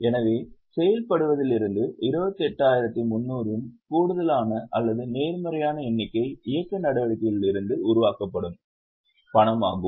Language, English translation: Tamil, So, from operating there was an addition or positive figure of 28,300, that is cash generated from operating activities